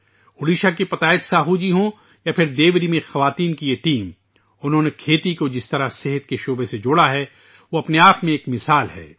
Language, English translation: Urdu, Whether it is Patayat Sahu ji of Odisha or this team of women in Deori, the way they have linked agriculture with the field of health is an example in itself